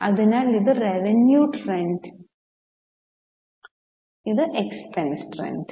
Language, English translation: Malayalam, So, this is revenue trend, this is expense trend